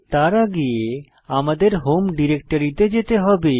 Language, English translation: Bengali, Remember that we are in the home directory